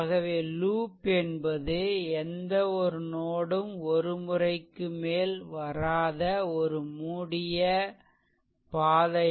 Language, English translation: Tamil, So, that is why a loop is a close path with no node pass more than once